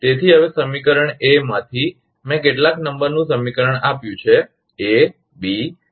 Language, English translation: Gujarati, So now, from equation A, I have given some number equation A, B